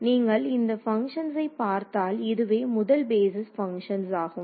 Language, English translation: Tamil, So, this function if you look at this is the first basis function